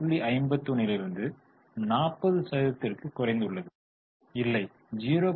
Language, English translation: Tamil, 51 slowly it has come down to 40 percent